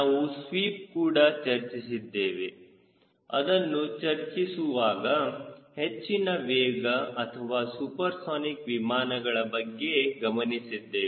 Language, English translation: Kannada, when we talk about sweep, we are talking about high speed or a supersonic airplane